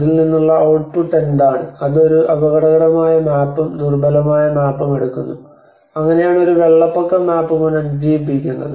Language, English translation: Malayalam, And what is the output out of it it takes us a hazard map, and the vulnerability map, and that is how a flood tisk map regeneration